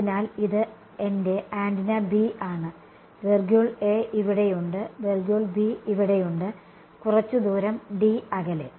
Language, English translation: Malayalam, So, this is my antenna B and there is I A here, I B over here ok, some distance d apart